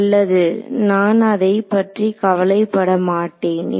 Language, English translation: Tamil, Well I would not worry about it